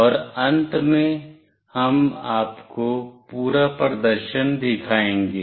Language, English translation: Hindi, And finally, we will show you the whole demonstration